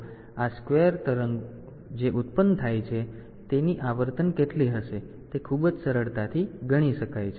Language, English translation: Gujarati, So, so much of what will be the frequency of this square wave that is generated